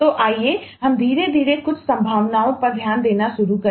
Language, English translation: Hindi, so let us slowly start taking a look into some of the possibilities